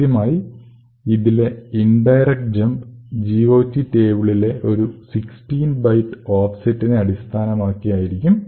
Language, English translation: Malayalam, So, the indirect jump is based on an address at an offset of 16 bytes in the GOT table